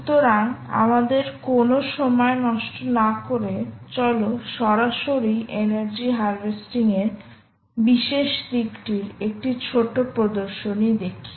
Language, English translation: Bengali, let us go directly and see a small demonstration of this particular aspect of energy harvesting